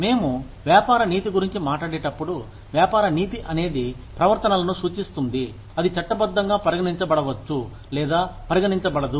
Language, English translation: Telugu, When we talk about business ethics, business ethics is refers to, those behaviors, that may or may not be considered, un lawful